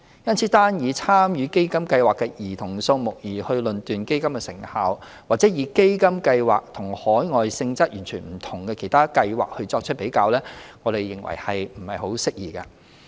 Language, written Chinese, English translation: Cantonese, 因此，單以參與基金計劃的兒童數目而論斷基金的成效，或以基金計劃與海外性質完全不同的其他計劃作直接比較，我們認為實不適宜。, We therefore consider it inappropriate to determine the effectiveness of CDF only by the number of participating children or directly compare CDF projects with other overseas schemes of an entirely different nature